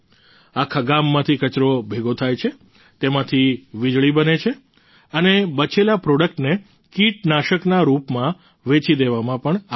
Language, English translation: Gujarati, The garbage is collected from the entire village, electricity is generated from it and the residual products are also sold as pesticides